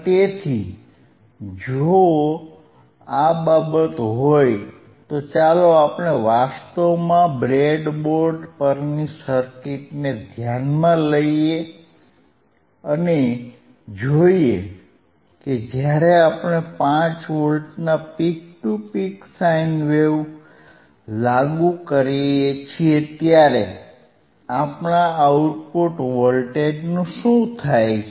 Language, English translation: Gujarati, So, if this is the case if this is the case, let us let us actually implement the circuit implement the circuit on the breadboard on the breadboard and let us see what happens what happens to our output voltage when we apply 5 volts peak to peak sine wave